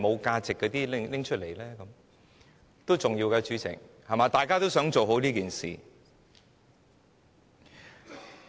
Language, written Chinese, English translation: Cantonese, 主席，這些都是重要的，因為大家都想做好這件事。, President all these are important information and we all want to do a good job